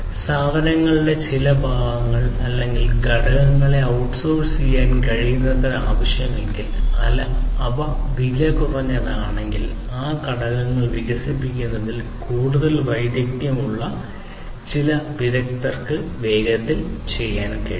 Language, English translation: Malayalam, If required as much as possible to outsource to outsource some parts of the product or the components, as the case, may be if it is cheaper and can be done faster by some experts, who are more, who have more expertise, in developing those components